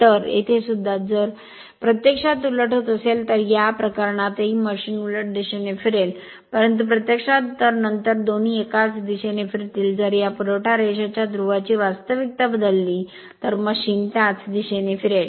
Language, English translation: Marathi, So, the here here also, if you when you are reversing then in this case also machine will rotate in the reverse direction, but if you make both then, it will rotate in the same direction, if you interchange the polarity of this supply line also machine will rotate in the same direction right